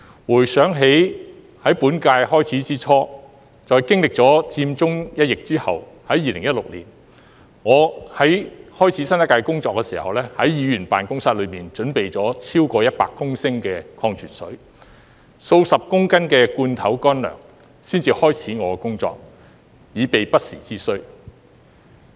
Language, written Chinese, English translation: Cantonese, 回想起在本屆開始之初，便經歷了佔中一役後，在2016年，我在開始新一屆工作時，便在議員辦公室內準備了超過100公升的礦泉水，數十公斤的罐頭乾糧才開始我的工作，以備不時之需。, I remember that the current - term legislature started after the Occupy Central incident . So in 2016 before I started my new term of work I stored over 100 litters of mineral water and tens of kilogrammes of canned food in my Council Member office just in case of need